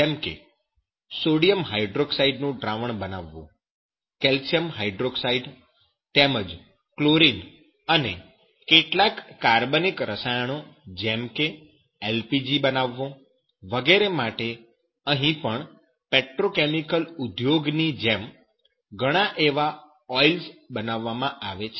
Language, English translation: Gujarati, Like to produce, suppose that some sodium hydroxide solution, calcium hydroxide, even chlorine gene some organic chemicals LPG even like petrochemical industries there are several oils those are produced